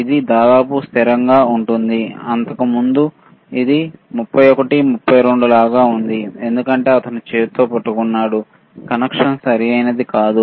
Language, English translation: Telugu, It is almost constant, earlier it was like 31, 32 because it he was holding with hand, the connection was were not proper